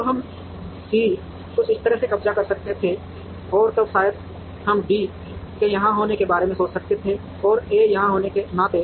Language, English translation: Hindi, So, we could have C occupying something like this, and then maybe we could think in terms of D being here, and A being here